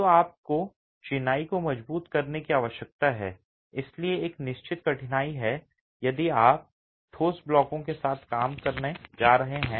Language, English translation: Hindi, So, you need to reinforce the masonry and so there is a certain difficulty if you are going to be working with solid blocks